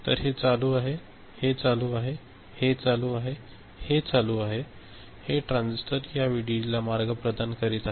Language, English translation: Marathi, So, this is ON, this is ON, this is ON, this is ON, these transistors are providing path to this VDD